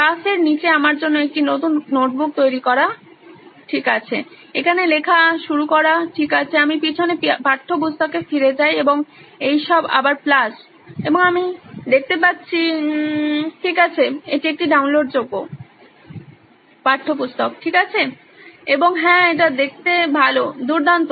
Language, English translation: Bengali, Under the plus for me to create a new notebook okay to start writing here, to go I go back backward textbook and all of these again plus and I see…okay this is a downloadable textbook okay and yes it looks good, great